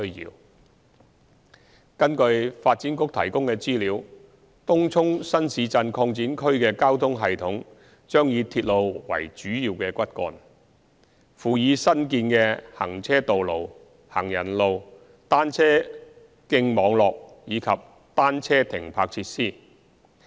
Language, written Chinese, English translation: Cantonese, 二根據發展局提供的資料，東涌新市鎮擴展區的交通系統將以鐵路為主要骨幹，輔以新建的行車道路、行人路、單車徑網絡及單車停泊設施。, 2 According to the information provided by the Development Bureau the transport system of the TCNTE would be railway - based and supplemented by new vehicular accesses pedestrian walkways cycle track network and bicycle parking facilities